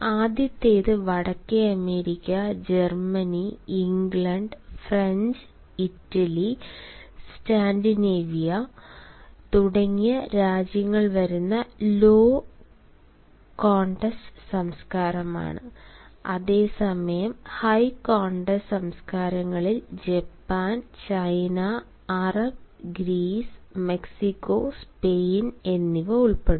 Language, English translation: Malayalam, the first is the low context culture, in which countries like north america, germany, england, french, italy and scandinavia come, whereas people of the high context cultures include japan, china, arab, greece, mexico and spain